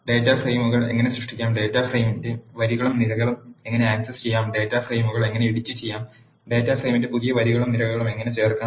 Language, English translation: Malayalam, How to create data frames, how to access rows and columns of data frame, how to edit data frames and how to add new rows and columns of the data frame